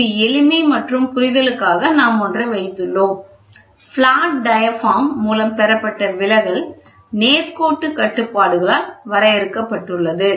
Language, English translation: Tamil, So, this is for single for simplicity and understanding we have put one, the deflection attained by the flat diaphragm is limited by the linearity constraints